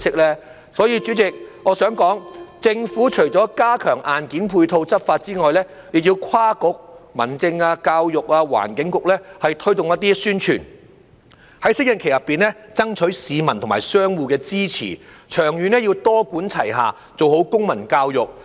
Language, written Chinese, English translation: Cantonese, 因此，主席，我想指出，政府除要加強硬件配套執法外，亦要跨局由民政事務、教育、環境局等推動宣傳，在適應期內爭取市民和商戶支持，長遠要多管齊下，做好公民教育。, Therefore President I would like to point out that apart from strengthening hardware support for law enforcement the Government should engage different bureaux including HAB EDB and ENB to undertake promotional efforts to gain the support of the public and business operators during the preparatory period . In the long run a multi - pronged approach should be adopted to enhance civic education